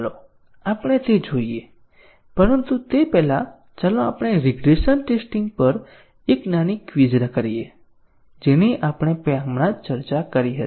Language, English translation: Gujarati, Let us look at that, but before that let us have small a quiz on regression testing which we just discussed